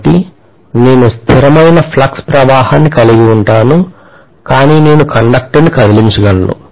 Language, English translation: Telugu, So, I can have a constant flux but I can just move a conductor